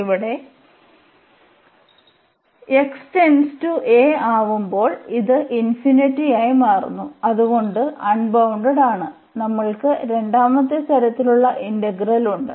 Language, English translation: Malayalam, So, here we have that this as x approaching to a this is becoming infinite so, unbounded so, we have the second kind integral